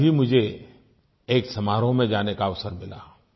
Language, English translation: Hindi, Yesterday I got the opportunity to be part of a function